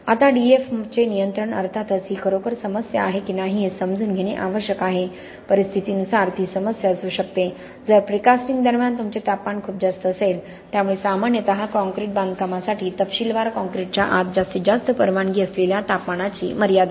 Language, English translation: Marathi, Now control of DEF of course we have to understand whether it is really a problem depending upon the situation it can be a problem, if you have very high temperatures during precasting so generally because of that most concrete it says the specification for concrete construction typically put a limit on the maximum temperature permissible inside the concrete